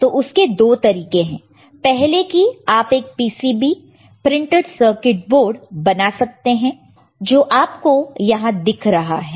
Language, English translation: Hindi, So, there are two ways, one is you make a PCB printed circuit board, you can see here in this one, right